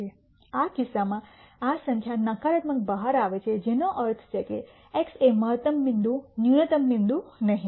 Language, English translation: Gujarati, In this case this number turns out to be negative which means that x is a maximum point, not a minimum point